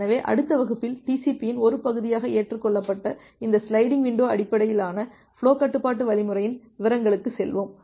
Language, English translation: Tamil, So, in the next class, we will go to the details of this sliding window based flow control algorithm which is adopted as the part of the TCP